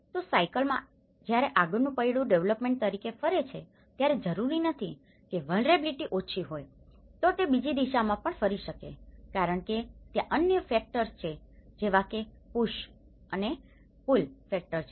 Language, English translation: Gujarati, Well bicycle, when the front wheel rotates to the development not necessarily the vulnerability is reduced, it may turn in the other direction too, because there are other factors which are the push and pull factors to it